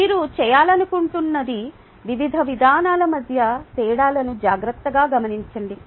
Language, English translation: Telugu, ok, what i would like you to do is carefully note the differences between the various approaches